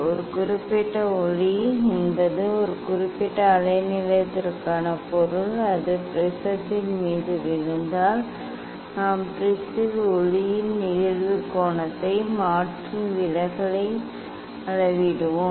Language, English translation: Tamil, for a particular light means for a particular wavelength, if it falls on the prism then we will change the incident angle of the light on the prism and measure the deviation